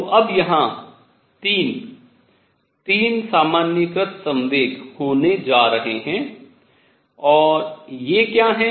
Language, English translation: Hindi, So now, there are going to be 3, to be 3 generalized momenta and what are these